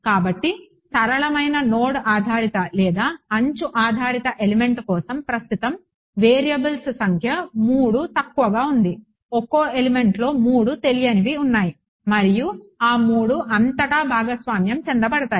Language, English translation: Telugu, So, number of variables currently is 3 for the low for the most for the simplest node based or edge based element, per element there are 3 unknowns and those 3 are of course, shared across